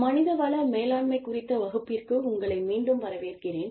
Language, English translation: Tamil, Welcome back, to the class on, human resources management